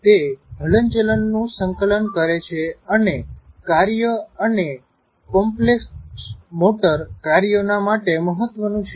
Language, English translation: Gujarati, It coordinates movement and is important to performance and timing of complex motor tasks